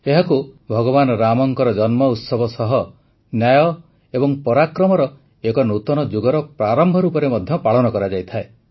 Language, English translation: Odia, It is also celebrated as the birth anniversary of Lord Rama and the beginning of a new era of justice and Parakram, valour